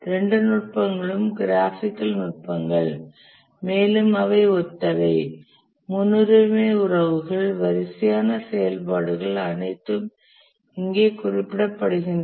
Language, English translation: Tamil, Both the techniques, they are graphical techniques, they are similar precedence relations, the sequence of activities, these are all represented here